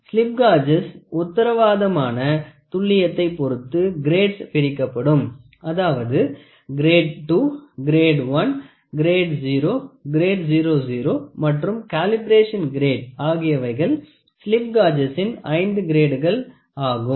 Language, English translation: Tamil, The slip gauges are classified into grades depending on their guaranteed accuracy Grade 2, Grade 1, Grade 0, Grade 00 and Calibration Grade are some of the where the 5 grade of slip gauges